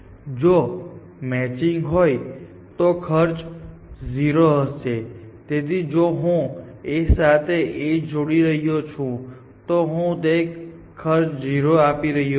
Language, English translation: Gujarati, So, if there is a match, then cost is 0, so if I am aligning in A with an A, I am paying a 0 cost, mismatch cost 1